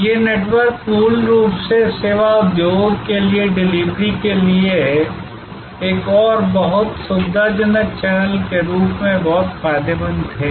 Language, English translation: Hindi, These networks originally were very beneficial to services industries as another very convenient channel for delivery